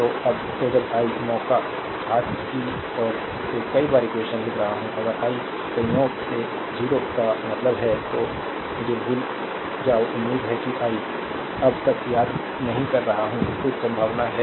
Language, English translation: Hindi, So, when I am writing ah many times equation by chance right hand side, if I by chance means 0 ah so, you forgetting me so, hopefully I am not miss till now, right there is a few possibility right